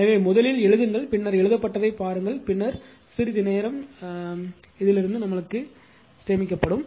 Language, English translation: Tamil, So, please write yourself first, then you see this then you see what have been written then some time will be save right